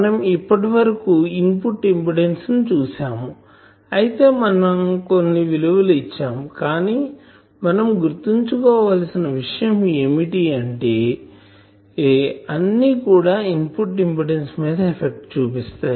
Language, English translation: Telugu, So, you see input impedance, though we are giving a certain values, but we should remember that all these things effect this input impedance